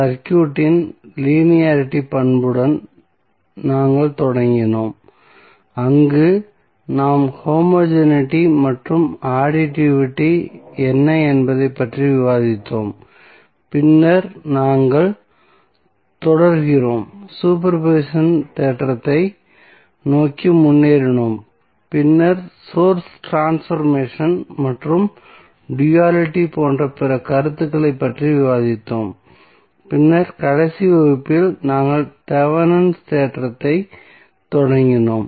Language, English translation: Tamil, We started with linearity property of the circuit where we discussed what is homogeneity and additivity and then we proceeded towards the superposition theorem and then we discussed the other concepts like source transformation and the duality and then in the last class we started our Thevenin's theorem